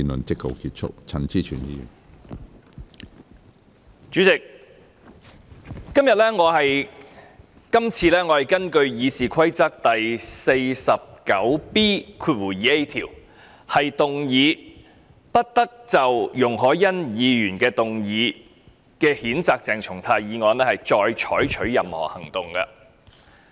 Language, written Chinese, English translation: Cantonese, 主席，這次我是根據《議事規則》第 49B 條，動議不得就容海恩議員動議譴責鄭松泰議員的議案再採取任何行動。, President I am moving this time a motion under Rule 49B2A of the Rules of Procedure to order that no further action be taken on the motion moved by Ms YUNG Hoi - yan to censure Dr CHENG Chung - tai